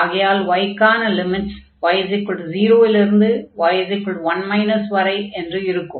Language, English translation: Tamil, So, the limits will be y is equal to 0 to y is equal to 1 minus x